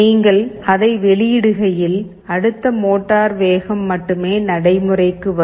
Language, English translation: Tamil, As you release it then only the next motor speed will take effect